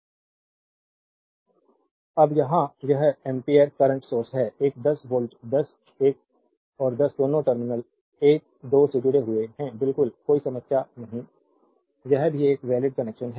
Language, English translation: Hindi, Now, here one 5 ampere current source is there a 10 voltage 10 another 10 both are connected across terminal 1 2 absolutely no problem this is also a valid connection right